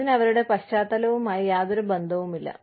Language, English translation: Malayalam, It had nothing to do with their background